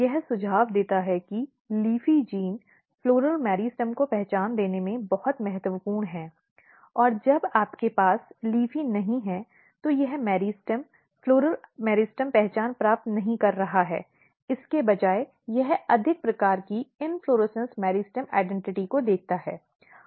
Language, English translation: Hindi, This suggest that the LEAFY gene is very important in giving identity to the floral meristem when you do not have LEAFY, this meristem is basically not acquiring floral meristem identity instead of that it looks more kind of inflorescence meristem identity